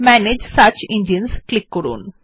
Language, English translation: Bengali, Click on Manage Search Engines